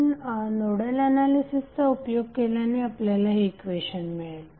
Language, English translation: Marathi, So you will simply get this equation when you apply the Nodal analysis